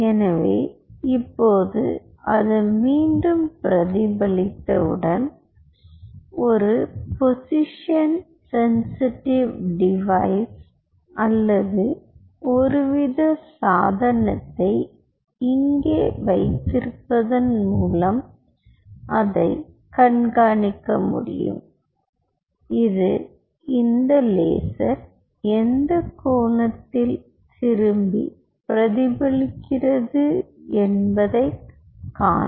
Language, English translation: Tamil, so now, once it bounces back, you can track it by having a position sensitive device or some kind of a device here which will see at what angle this laser is bouncing back